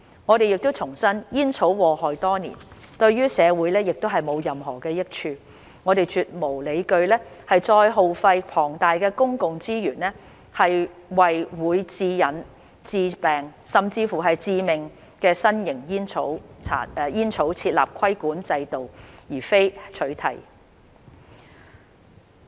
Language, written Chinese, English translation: Cantonese, 我們重申，煙草禍害多年，對社會亦無任何益處，我們絕無理據再耗費龐大公共資源為會致癮、致病甚或致命的新型煙草設立規管制度而非取締。, We reiterate that tobacco products have been doing harm for many years and bring no social good . There is no justification whatsoever for us to incur enormous public resources to establish a regulatory regime for new tobacco products that result in addiction diseases or even deaths instead of banning them